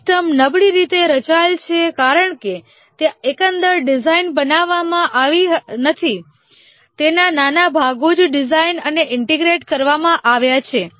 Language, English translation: Gujarati, The system is poorly structured because there is no overall design made, it's only small parts that are designed and integrated